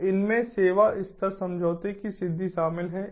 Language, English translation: Hindi, so these include: accomplishment of service level agreement